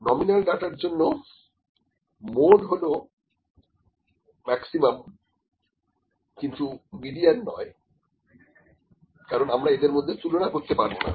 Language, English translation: Bengali, The mode for nominal data mode is the maximum value for nominal data we can use mode, but not median because we cannot compare them, ok